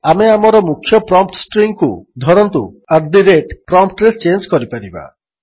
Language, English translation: Odia, We may change our primary prompt string to say at the rate lt@gt at the prompt